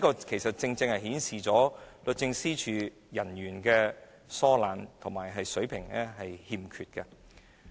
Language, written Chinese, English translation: Cantonese, 這正正顯示出律政司人員疏懶及欠缺水平。, This has precisely shown that DoJ officers are slack and are not up to standard